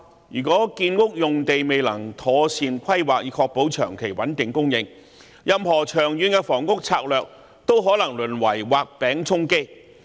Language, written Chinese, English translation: Cantonese, 如果建屋用地未能妥善規劃以確保長期穩定供應，任何長遠房屋策略都可能淪為"畫餅充飢"。, If there is no proper planning of housing sites to ensure steady supply in the long term any long - term housing strategy may merely turn out to be drawing a cake to allay hunger